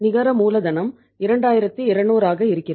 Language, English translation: Tamil, Net working capital is 2200